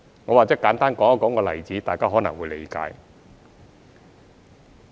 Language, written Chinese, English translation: Cantonese, 我或者簡單說一個例子，大家可能會理解。, I would like to cite a simple example so that Members can understand